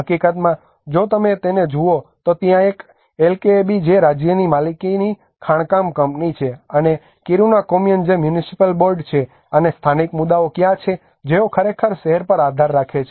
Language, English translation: Gujarati, In fact, if you look at it there is a LKAB which is a state owned mining company and the Kiruna kommun which is a municipal board and where is the local communities the people who are actually relying on the town